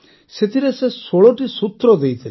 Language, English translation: Odia, And in that he gave 16 sutras